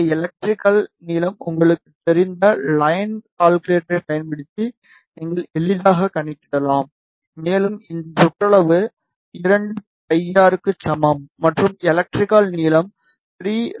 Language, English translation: Tamil, These things you can easily calculate using the line calculator you know this electrical length and you know this periphery that is equal to 2 pi r an electrical length is 3 lambda by 2